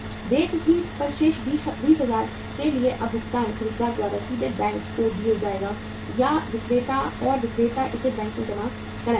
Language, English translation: Hindi, For remaining 20,000 on the due date when the payment will be made by the buyer either directly to the bank or to the seller and seller will deposit it in the bank